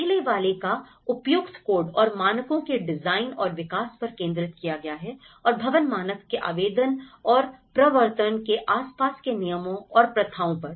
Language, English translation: Hindi, The first one has been focused on the designing and developing appropriate codes and standards, the regulations and practices surrounding the application and enforcement of the building standard